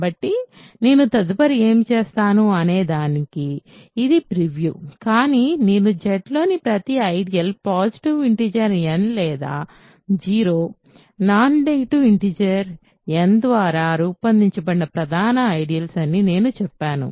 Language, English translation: Telugu, So, I just to preview what I will do next, but I said that every ideal in Z is a principal ideal generated by a positive integer n or of course 0, non negative integer n I should say